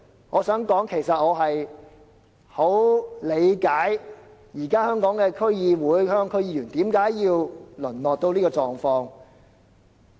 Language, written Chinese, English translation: Cantonese, 我想說，其實我十分理解現時本港區議會、區議員何以淪落至此。, I would say I understand full well why DCs and DC members in Hong Kong have degenerated to this pass